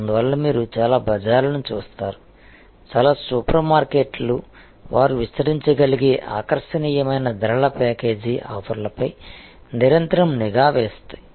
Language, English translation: Telugu, So, that is why you will see the most of the bazaars, most of the super markets they continuously harp on the attractive pricing package offers which they are able to extend